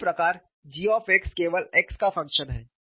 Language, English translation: Hindi, Similarly, g x is a function of x only